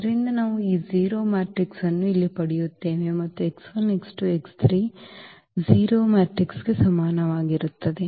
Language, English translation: Kannada, So, what we will get this 0 matrix here and x 1 x 2 x 3is equal to again the 0 matrix